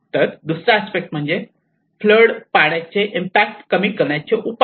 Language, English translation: Marathi, The other aspect is the measures to mitigate the impact of floodwater